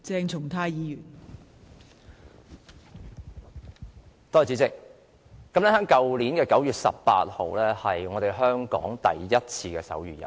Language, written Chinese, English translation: Cantonese, 代理主席，去年9月18日是第一屆香港手語日。, Deputy President 18 September last year was the first HK Sign Language Day